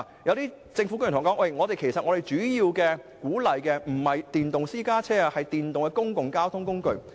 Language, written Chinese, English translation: Cantonese, 有政府官員對我說，其實政府主要鼓勵的不是電動私家車，而是電動公共交通工具。, According to some government officials the Government mainly encourages electric public transport rather than electric private cars